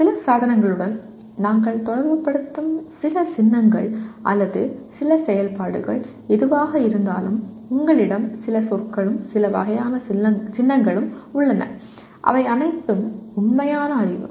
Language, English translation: Tamil, And there are some symbols that we associate with some device or some function whatever it is you have some terminology and some kind of symbols, they are all factual knowledge